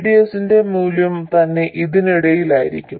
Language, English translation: Malayalam, The value of VDS itself will be between